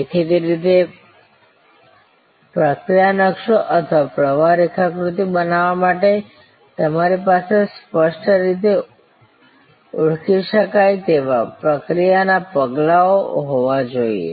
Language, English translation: Gujarati, Obviously, to create a process map or a flow diagram, you have to have discretely identifiable process steps